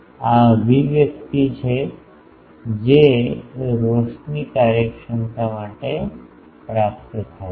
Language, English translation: Gujarati, This is the expression that is obtained for the illumination efficiency